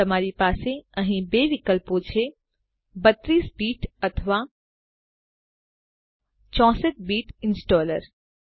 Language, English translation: Gujarati, You have two options here a 32 bit or 64 bit installer